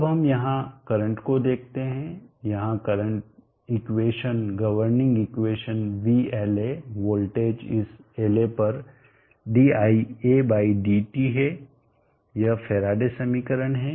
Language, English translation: Hindi, now let us see the current here, the current here the equation the governing equation Vla the voltage across this la dia/ dt paratile equation